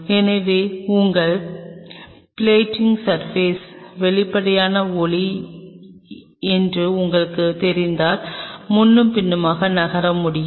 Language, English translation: Tamil, So, if you know that your plating surface is transparent light can move back and forth